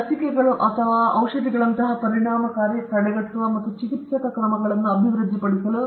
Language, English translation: Kannada, And to develop effective, preventative, and therapeutic measures such as vaccines or medicines